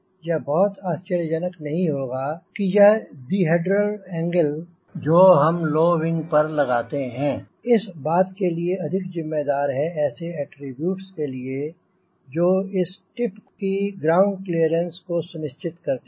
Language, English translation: Hindi, it may not be very surprising that this di hedral angle what we put for a low wing may have large component which attributes towards a clearance of the skip from the ground